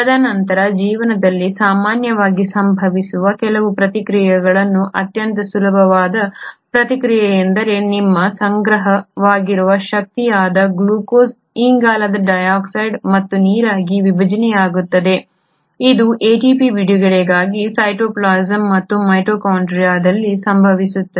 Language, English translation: Kannada, And then some of the reactions which very commonly occur in life, the most easy one is the reaction where the glucose which is your stored energy is kind of broken down into carbon dioxide and water, this happens in cytoplasm and mitochondria for the release of ATP